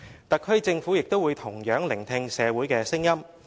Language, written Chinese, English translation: Cantonese, "特區政府也同樣會聆聽社會的聲音。, End of quote The HKSAR Government will also listen to the views of the community